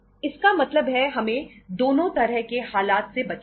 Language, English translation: Hindi, So it means we have to avoid both the situations